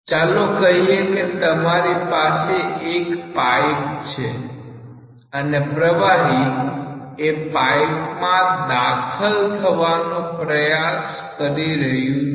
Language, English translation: Gujarati, So, let us say that you have a pipe and fluid is trying to enter the pipe